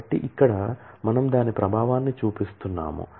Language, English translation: Telugu, So, here we are just showing the effect of that